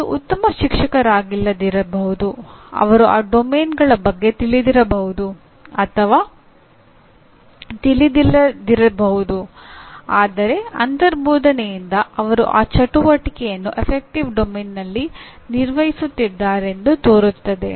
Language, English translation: Kannada, They may not be a good teacher, may or may not be aware of these domains and so on but intuitively they seem to be performing this activity in the affective domain